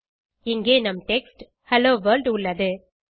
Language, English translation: Tamil, Here is our text Hello World